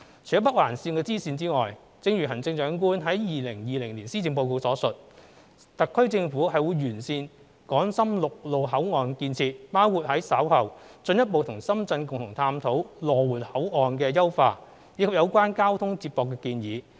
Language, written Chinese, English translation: Cantonese, 除了北環綫支綫外，正如行政長官在其2020年施政報告所述，特區政府會完善港深陸路口岸建設，包括於稍後進一步與深圳共同探討羅湖口岸的優化，以及有關交通接駁的建議。, Apart from the bifurcation of NOL as the Chief Executive has said in her 2020 Policy Address the SAR Government will improve the infrastructure of land boundary control points between Hong Kong and Shenzhen which includes exploring with Shenzhen the enhancement of the Lo Wu control point in due course and studying the proposals on transport link